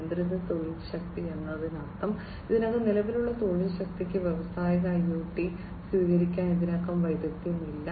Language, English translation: Malayalam, Constrained work force means, the work force that that is already existing is not already skilled to adopt industrial IoT